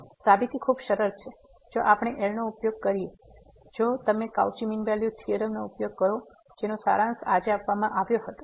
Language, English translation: Gujarati, So, the proof is pretty simple if we use the if you use the Cauchy mean value theorem so, which was summarize today